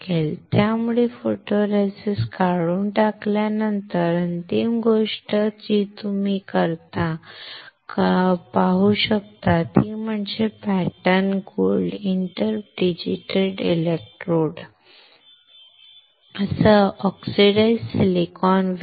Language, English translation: Marathi, So, after stripping out the photoresist the final thing that you can see is the oxidized silicon wafer with pattern gold inter digitated electrodes